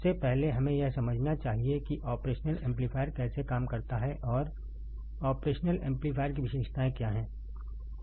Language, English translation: Hindi, First of all, we should understand how the operational amplifier works, and what are the characteristics of the operational amplifier